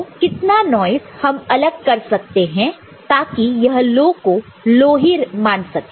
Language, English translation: Hindi, So, how much noise you can allow so that this low is treated as low here